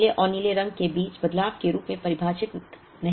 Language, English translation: Hindi, This is not defined as changeover between yellow and blue